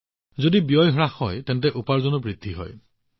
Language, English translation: Assamese, Since the expense has come down, the income also has increased